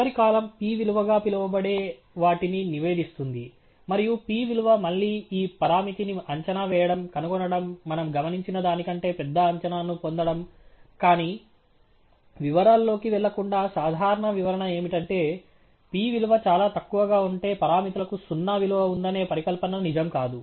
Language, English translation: Telugu, The last column, reports what is known as the p value; and the p value is again the probability of estimating this parameter, finding, obtaining an estimate larger than what we have observed, but without going too much into the details, the simple interpretation is, if the p value is extremely low, then the null hypothesis that the parameters are truly zero value